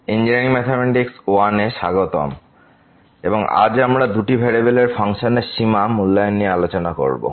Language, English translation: Bengali, So, welcome back to the lectures on Engineering Mathematics I and today, we will be talking about Evaluation of Limit of Functions of two variables